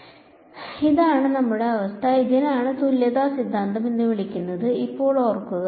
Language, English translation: Malayalam, So, this is the situation that we have; now remember that this is what is called equivalence theorem